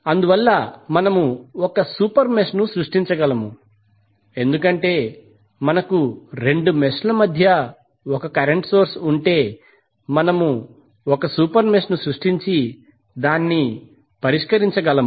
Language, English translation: Telugu, So what we can do, we can create a super mesh because if you have current source between 2 messages, we can create super mesh and solve it